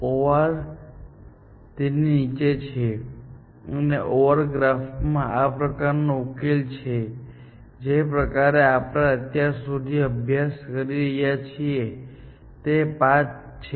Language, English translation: Gujarati, OR node is below that, and a solution in the OR graph like this, the kind that we have been studying so far, is the path